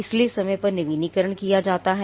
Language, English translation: Hindi, So, at renewals are done on time